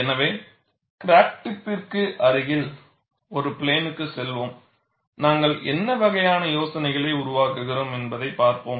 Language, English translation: Tamil, So, we will pass a plane close to the crack tip, and look at what is the kind of idealizations that we are making